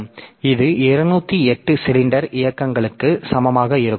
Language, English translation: Tamil, So, this will require 208 cylinder movements